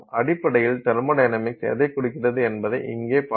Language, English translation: Tamil, So, if you look at what does the thermodynamics indicate, thermodynamics indicates basically this